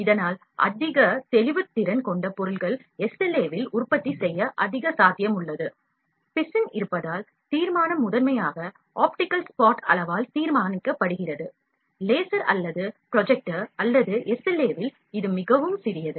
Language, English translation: Tamil, Thus it has higher resolution objects are more possible to produce in SLA, because resin is there, the resolution is primarily determined by the optical spot size either of the laser or the projector and that is really small in SLA